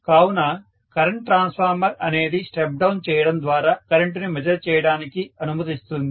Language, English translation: Telugu, So, current transformer allows me to measure the current by stepping down the current